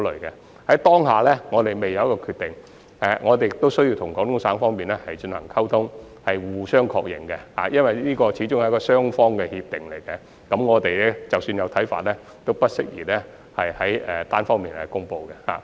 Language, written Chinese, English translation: Cantonese, 我們現時仍未有決定，我們亦需要與廣東省方面進行溝通及互相確認，因為這始終是雙方的協定，所以即使我們有一些看法，也不適宜單方面公布。, We have not yet come to a decision at this moment . We also need to communicate and confirm with Guangdong Province . This is an agreement between the two parties after all it is thus not appropriate for us to make an announcement unilaterally even if we have some views